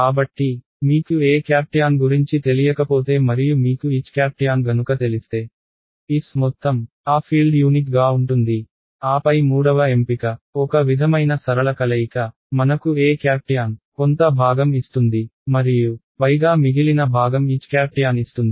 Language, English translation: Telugu, So, it says if you do not know E tan and if you know H tan over all of S, then the field is unique and then there is of course, the third option is a sort of a linear combination that you give me E tangential over some part and H tangential over the remaining part